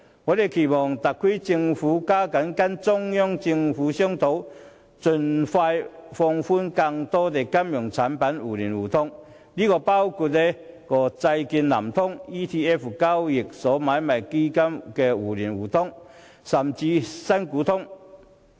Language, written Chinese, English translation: Cantonese, 我期望特區政府加緊跟中央政府商討，盡快放寬更多金融產品互聯互通，包括債券"南向通"、交易所買賣基金互聯互通，甚至"新股通"。, I expect the SAR Government will step up its efforts to discuss with the Central Government to expand expeditiously more financial products for two - way mutual access including the introduction of Southbound Trading of Bond Connect Exchange Traded Fund ETF Connect and even Primary Equity Connect